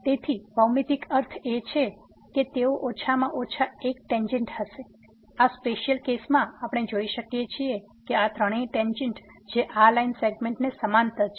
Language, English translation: Gujarati, So, the geometrical meaning is that they will be at least one tangent; in this particular case we can see these three tangents which are parallel to this line segment